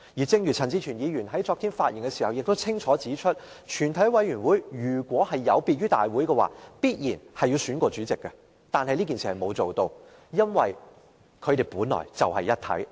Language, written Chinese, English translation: Cantonese, 正如陳志全議員昨天發言時清楚指出，如果全委會有別於大會的話，定必會另行選舉主席，但全委會並沒有這樣做，因為它們本來就是一體。, As clearly stated by Mr CHAN Chi - chuen in his speech yesterday if a committee of the whole Council and the Council are not the same entity the former should have elected its own Chairman . However a separate election has not been held because the two of them are actually the same entity